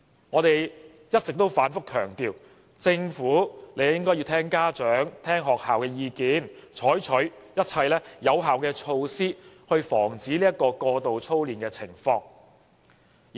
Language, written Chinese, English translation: Cantonese, 我們一直反覆強調，政府應該聽取家長和學校的意見，採取一切有效措施，防止過度操練的情況。, All along we have been stressing that the Government should heed the views of parents and schools and take all effective measures to prevent over - drilling